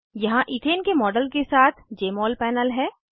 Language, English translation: Hindi, Here is the Jmol panel with a model of ethane